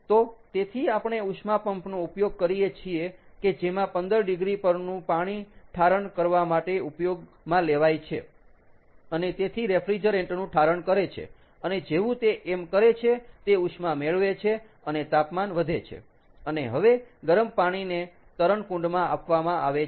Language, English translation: Gujarati, so therefore, we use a heat pump, where this water at fifteen degrees is used to condense and therefore condense the refrigerant, and as it does so, it picks up heat, the temperature goes up and the heated water is now fed to the swimming pool